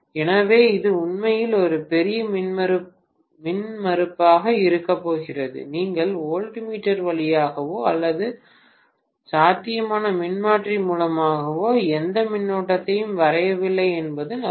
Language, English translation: Tamil, So it is going to be really, really a large impedance, it is as good as you are not drawing any current through the voltmeter or through the potential transformer